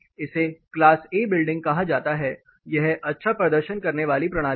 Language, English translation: Hindi, This is termed as class a building are good performing system